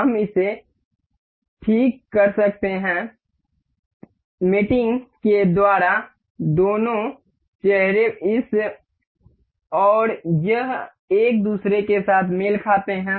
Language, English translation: Hindi, We can fix this by mating coinciding the two faces this and this with each other